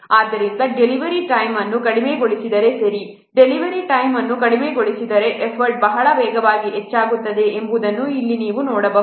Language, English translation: Kannada, So if the delivery time is reduced, here you can see that if the delivery time is reduced, the effort increases very rapidly